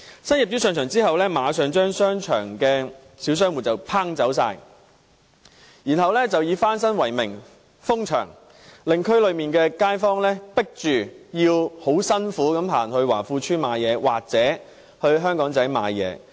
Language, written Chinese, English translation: Cantonese, 新業主在上場後，馬上將商場的小商戶趕走，然後以翻新為名封閉商場，令區內街坊被迫辛苦地去華富邨或香港仔買東西。, After the new property owner had taken over it immediately forced the small shop operators out of the shopping centre then closed the shopping centre on the excuse of renovation . Local residents are forced to trudge to Wah Fu Estate or Aberdeen to do their shopping